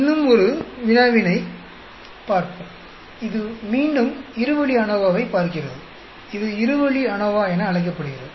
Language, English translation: Tamil, Let us look at a one more problem, which again looks at two way ANOVA; it is called two way ANOVA